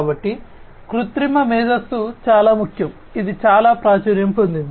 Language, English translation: Telugu, So, artificial intelligence is very important, it has become very popular